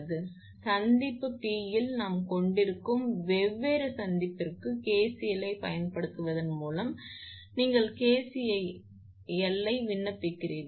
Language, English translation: Tamil, So, applying KCL to different junction we have at junction P, you apply your what you call that your KCL at junction P at this point you apply KCL